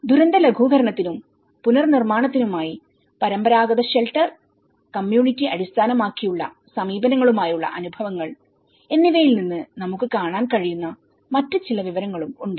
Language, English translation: Malayalam, So, there is also some other information we can see from adapting traditional shelter for disaster mitigation and reconstruction, experiences with community based approaches